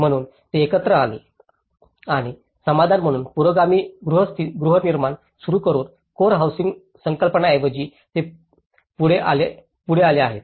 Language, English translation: Marathi, So that is how they have come together and they have come up with rather than a core housing concept they started with a progressive housing as a solution